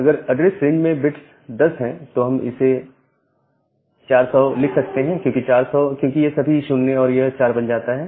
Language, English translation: Hindi, If the bit is 10 in the address range, we can write it as 400; 400 because, this is 0 then, this becomes 4